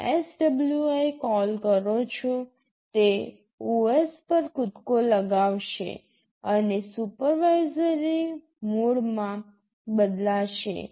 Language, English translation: Gujarati, You give SWI call, it jumps to the OS and also the mode changes to supervisory mode